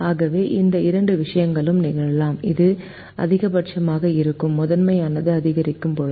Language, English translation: Tamil, so both these things can happen when the primal, which is maximization, is increasing